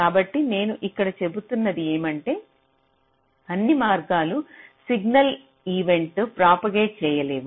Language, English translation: Telugu, so what i am saying here is that not all paths can propagate signal events